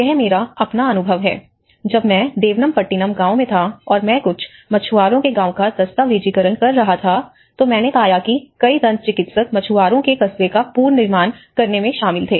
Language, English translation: Hindi, My own experience when I was in Devanampattinam village, and I was documenting a few fisherman villages, I have come across even many dentists is involved in the reconstruction part of it in the smaller fisherman Hamlets